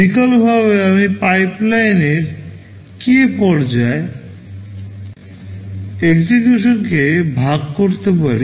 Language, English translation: Bengali, Alternatively, I can divide the execution into k stages of pipeline